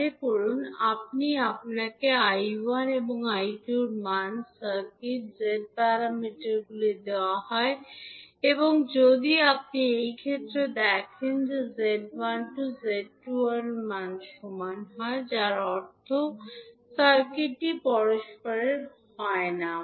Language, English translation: Bengali, Suppose, if we are asked to find out the value of I1 and I2, the circuit, the Z parameters are given Z11, Z12, Z21, Z22, if you see in this case Z12 is not equal to Z21, so that means the circuit is not reciprocal